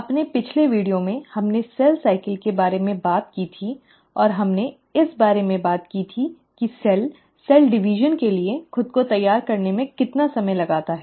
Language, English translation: Hindi, In our previous video, we spoke about cell cycle and we did talk about how much time a cell spends in preparing itself for cell division